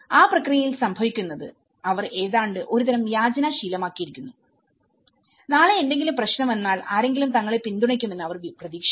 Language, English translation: Malayalam, And in that process, what happens is they almost accustomed to kind of begging, tomorrow any problem comes they are expecting someone will support them